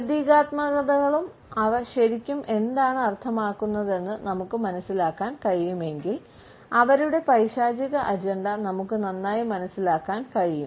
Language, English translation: Malayalam, If we can understand the symbolisms and what they really mean we can better understand their satanic agenda